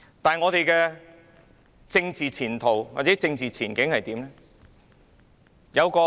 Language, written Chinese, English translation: Cantonese, 香港的政治前途或政治前景又如何？, What is the political future or political prospect of Hong Kong?